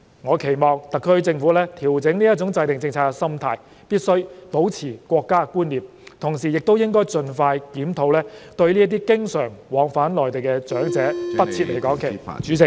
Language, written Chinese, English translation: Cantonese, 我期望特區政府官員調整制訂政策的心態，必須保持國家觀念，同時亦應盡快進行檢討，不再對經常往返內地的長者設離港期限......, I hope the SAR Government officials will adjust their policy - making mentality; preserve their sense of national identity and expeditiously conduct a review to remove the permissible limit of absence from Hong Kong for elderly persons who often travel to and from the Mainland